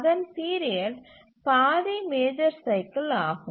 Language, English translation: Tamil, So its period is half the major cycle